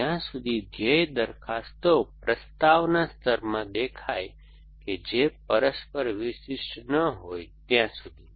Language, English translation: Gujarati, Till the time when the goal propositions appear in a propositions layer and they are not mutually exclusive